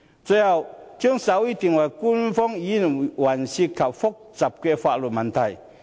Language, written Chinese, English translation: Cantonese, 最後，將手語定為官方語言涉及複雜的法律問題。, Finally making sign language an official language involves complicated legal implications